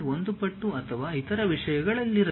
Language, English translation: Kannada, 1 times of that or other things